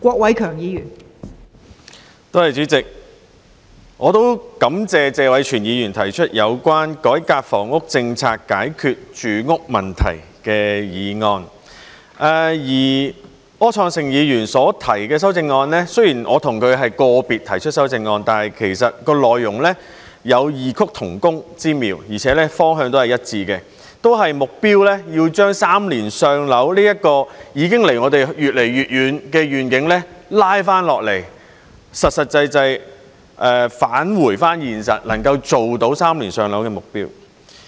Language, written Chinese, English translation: Cantonese, 我也感謝謝偉銓議員提出有關"改革房屋政策，解決住屋問題"的議案，而柯創盛議員所提出的修正案，雖然我和他是個別提出修正案，但其實內容有異曲同工之妙，而且方向亦是一致的，目標都是要把"三年上樓"這個已經距離我們越來越遠的願景拉下來，實實際際返回現實，能夠做到"三年上樓"的目標。, I also thank Mr Tony TSE for proposing the motion on Reforming the housing policy to resolve the housing problem . As regards the amendment proposed by Mr Wilson OR although we have proposed our amendments separately the two amendments would actually achieve the same effect through different approaches . We are also working in the same direction and our common goal is to return to reality pragmatically by sticking to the vision of maintaining the waiting time of three years for public rental housing PRH allocation which is getting farther and farther away from us